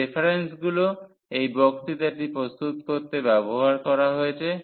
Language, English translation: Bengali, These are the references which are used to prepare these lectures